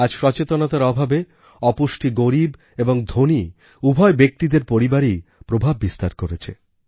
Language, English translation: Bengali, Today, due to lack of awareness, both poor and affluent families are affected by malnutrition